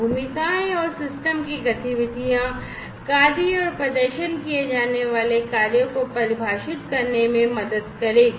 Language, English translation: Hindi, The roles and the activities of the system will help in defining the task, the tasks to be performed